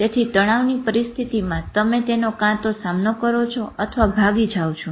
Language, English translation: Gujarati, So either in the face of stress, you fight it out or you escape